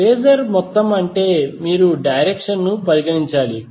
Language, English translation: Telugu, Phasor sum means you have to consider the direction